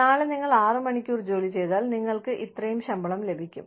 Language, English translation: Malayalam, Tomorrow, you put in six hours of work, you get, this much salary